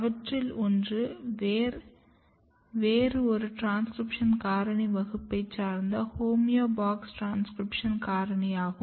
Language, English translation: Tamil, And one of them are belongs to another class of transcription factor which is called homeobox transcription factor